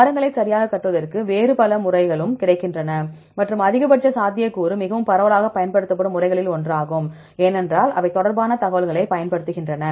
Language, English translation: Tamil, A lot of other methods also available for constructing trees right and the maximum likelihood method is one of the most widely used methods, because that uses the information regarding the they